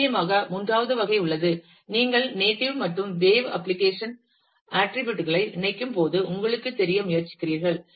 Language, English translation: Tamil, And certainly there is a third kind, when you combine the attributes of both native and wave application and you try to you know